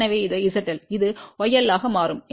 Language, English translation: Tamil, So, this is Z L, this will become y l